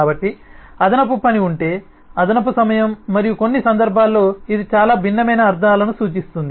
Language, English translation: Telugu, so that means additional work, that means additional time and in some cases it might mean a very different semantics